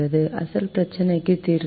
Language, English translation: Tamil, the original problem does not have a solution